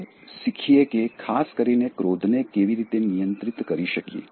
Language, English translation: Gujarati, And then, let us learn how we can control anger in particular